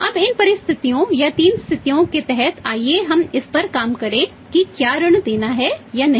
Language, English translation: Hindi, Now under these circumstances or 3 situations let us work out whether to grant the credit or not to grant the credit